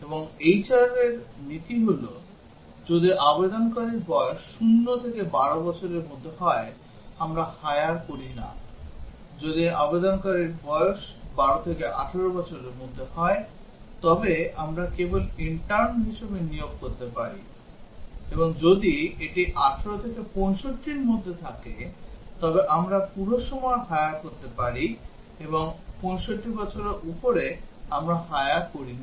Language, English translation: Bengali, And the policy for a HR is that if the applicant is between 0 to 12 years age, we do not hire; if the applicant is between 12 to 18 years of age we can only hire as an intern; and if it between 18 to 65, we can hire full time; and above 65, we do not hire